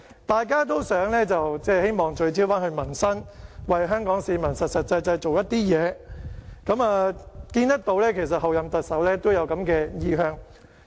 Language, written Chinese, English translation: Cantonese, 大家都希望聚焦民生，為香港市民實際做點事情，我們看到候任特首都有這個意向。, We all want to focus our efforts on peoples livelihood and can practically do something for Hong Kong citizens . We see that the Chief Executive - elect also has such an inclination